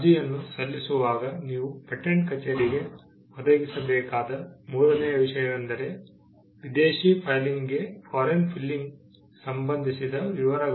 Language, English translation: Kannada, Third thing that you need to provide to the patent office while filing an application is, details with regard to foreign filing